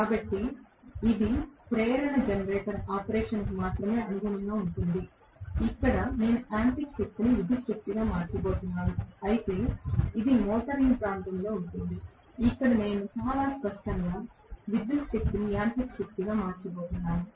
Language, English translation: Telugu, So this will correspond only to induction generator operation where I am going to convert mechanical power into electrical power whereas this happens in motoring region, where I am going to have very clearly electrical power is converted into mechanical power